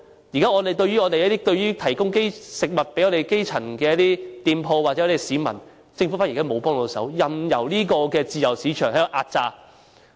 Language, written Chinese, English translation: Cantonese, 現在對於提供食物給基層店鋪或市民，政府沒有提供協助，任由自由市場壓榨市民。, The Government currently does not offer any assistance in respect of food provision to grass - roots shops or people but instead simply lets the free market exploit the people